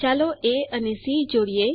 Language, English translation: Gujarati, Let us join A and C